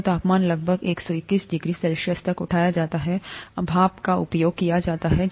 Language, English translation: Hindi, So the temperature is raised to about 121 degrees C, steam is used